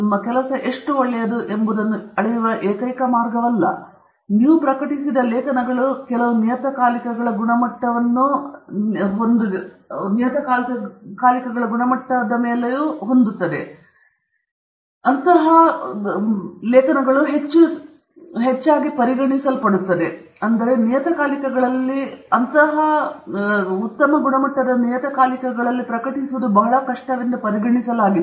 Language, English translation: Kannada, It is not the only way to measure how good your work is, but one of the measures is how many journal articles you have published, in which journals you have published because some journals set standards, which are considered very high, and therefore, it’s considered very difficult to publish in those journals